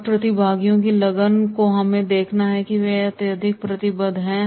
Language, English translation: Hindi, And the commitments of the participants that we have to see that is they are highly committed